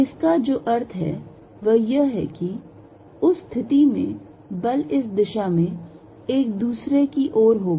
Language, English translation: Hindi, What that means is, in that case the force is going to be in this direction towards each other